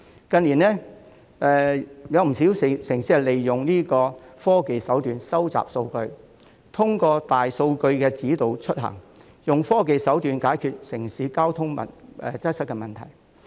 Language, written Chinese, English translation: Cantonese, 近年，有不少城市利用科技收集數據，透過大數據指導出行，以科技手段解決城市交通擠塞的問題。, In recent years many cities try to solve urban traffic congestion by means of technology such as collecting data for big data processing to guide peoples travels